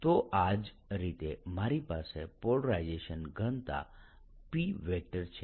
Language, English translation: Gujarati, so in the same manner i have polarization density, p